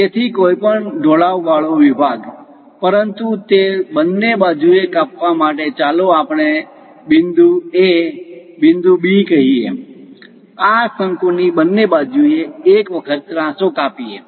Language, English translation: Gujarati, So, any inclined section, but it has to cut on both the sides let us call A point, B point; on both sides of this cone if it is going to cut the slant once